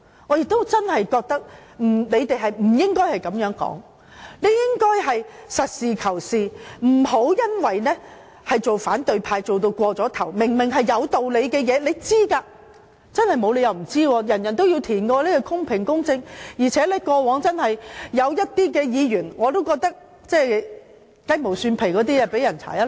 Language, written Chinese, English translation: Cantonese, 我真的認為他們不應該這樣說，他們理應實事求是，不要因為當反對派過了火，明明是有道理的，他們應該知道——真的不可能不知道，每位議員都要填寫表格，那是公平、公正的，而且過往亦有議員因為雞毛蒜皮的事被調查。, They should call a spade a spade and should not be over the top even though they belong to the opposition camp . It is clearly reasonable and they should be well aware of that . As a matter of fact it is impossible that they do not know as every Member has to fill out the form